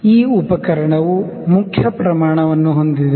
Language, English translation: Kannada, This instrument is having main scale